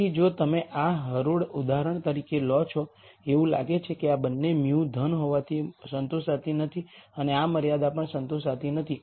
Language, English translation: Gujarati, So, if you take this row for example, it looks like both this mu being positive is not satisfied and this constraint is also not satisfied